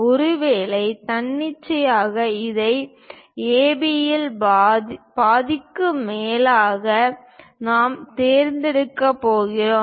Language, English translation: Tamil, Perhaps arbitrarily, we are going to pick this one as the greater than half of AB